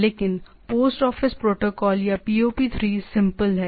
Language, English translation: Hindi, But so, post office protocol or POP3 it is simple